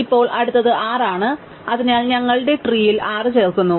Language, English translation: Malayalam, Now, the next one is 6, so we add 6 to our tree